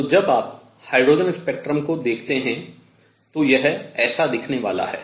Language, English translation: Hindi, So, when you look at a hydrogen spectrum, this is what it is going to look like